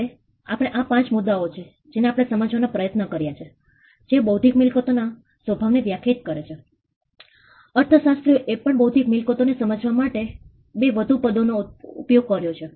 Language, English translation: Gujarati, Now, these are 5 points which we have we have tried to pull out which define the nature of the intellectual property, economists have also used 2 more terms to understand intellectual property